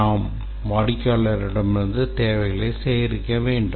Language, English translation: Tamil, That is, we will have to gather the requirements from the customer